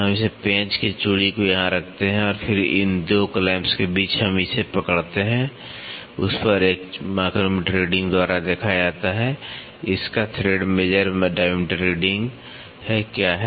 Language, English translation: Hindi, We move this put the screw thread here and then between these 2 clamps we hold it, at that this is seen by a micrometer reading, what is the thread major diameter reading of it